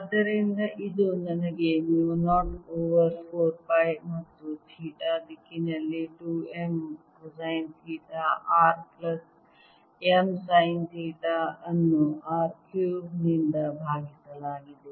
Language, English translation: Kannada, so this gives me mu naught over four pi and i have two m cosine of theta r plus m sine of theta in theta direction divided by r cubed